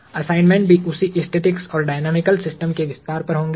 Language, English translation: Hindi, The assignments would also span the same set of static and dynamical systems